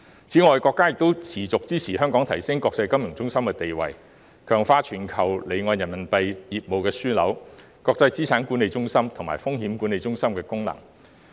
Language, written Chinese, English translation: Cantonese, 此外，國家亦一如既往，支持香港提升國際金融中心地位，強化全球離岸人民幣業務樞紐、國際資產管理中心及風險管理中心功能。, Besides the country has also continued its support for Hong Kong to enhance its status as an international financial centre and strengthen its status as a global offshore Renminbi business hub an international asset management centre and a risk management centre